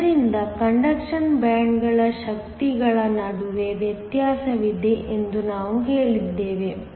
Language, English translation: Kannada, So, we also said that there is a difference between the energies of the conduction bands